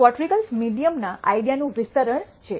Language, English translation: Gujarati, Quartiles are basically an extension of the idea of median